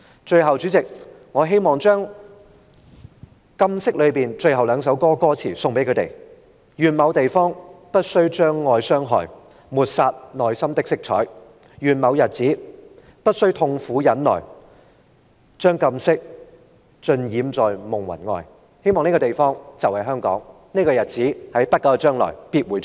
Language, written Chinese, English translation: Cantonese, 最後，主席，我希望將"禁色"中的最後兩句歌詞送給他們："願某地方不需將愛傷害抹殺內心的色彩願某日子不需苦痛忍耐將禁色盡染在夢魂外"我希望這個地方就是香港，而這個日子，也必會在不久的將來到臨。, Lastly President I wish to dedicate the ending of the song to them Wishing no harm be done to love somewhere And ones inner colour not be obliterated May the suffering and pain be gone some day While the colour forbidden can be fully revealed to the real world I do wish somewhere is a place called Hong Kong and some day will come in the near future